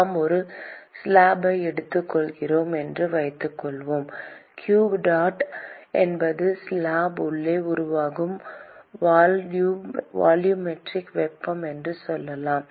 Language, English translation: Tamil, Supposing we take a slab and let us say that q dot is the volumetric heat that is being generated inside the slab